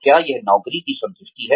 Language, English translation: Hindi, Is it job satisfaction